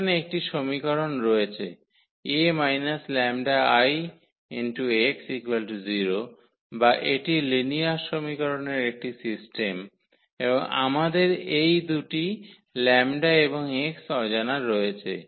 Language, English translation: Bengali, There is a one equation here A minus lambda I x is equal to 0 or it is a system of linear equation and we have these two unknowns the lambda and x